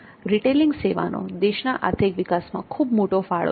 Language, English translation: Gujarati, Retailing has major contribution in economic development